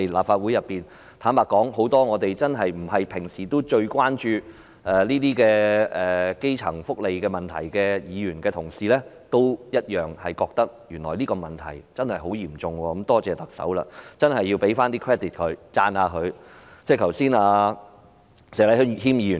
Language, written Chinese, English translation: Cantonese, 坦白說，很多平時並非最關注基層福利問題的議員也同樣認為這個問題確實很嚴重，真的多謝特首，要給她一些 credit， 讚一讚她。, Frankly many Members who are usually not the most concerned about the welfare of the grass roots also share the view that this problem is indeed very serious . I really should thank the Chief Executive . We should give her some credit